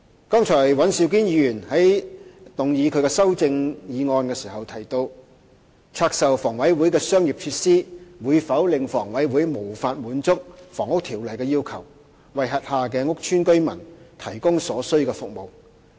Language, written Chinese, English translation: Cantonese, 剛才尹兆堅議員在談及他的修正案時提到，拆售房委會的商業設施會否令房委會無法滿足《房屋條例》的要求，為轄下屋邨居民提供所需服務。, When speaking on his amendment just now Mr Andrew WAN mentioned whether HAs divestment of commercial facilities will lead to its inability to meet the requirements of the Housing Ordinance on providing necessary services to residents of its housing estates